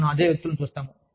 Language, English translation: Telugu, We see the same people